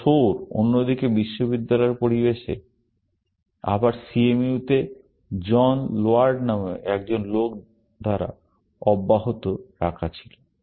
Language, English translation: Bengali, This Soar, on the other hand, was continued in the university environment, again CMU, by a guy called John Laird